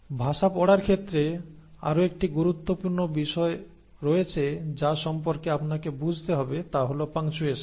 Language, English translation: Bengali, So there is another important aspect in the reading of language that you have to understand is about punctuations